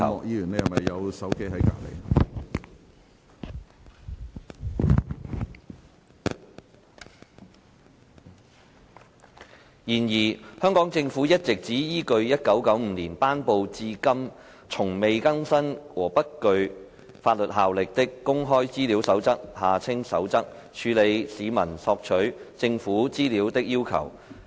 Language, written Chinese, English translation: Cantonese, 然而，香港政府一直只依據1995年頒布至今從未更新和不具法律效力的《公開資料守則》，處理市民索取政府資料的要求。, However the Hong Kong Government has all along been relying solely on the Code on Access to Information the Code which has not been updated since its promulgation in 1995 and has no legal effect in handling public requests for access to government information